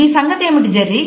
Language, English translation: Telugu, How about you Jerry